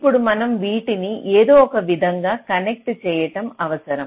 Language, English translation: Telugu, now we have to connect then in some way